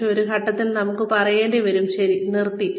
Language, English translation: Malayalam, But, at some point, we have to just say, okay, that is it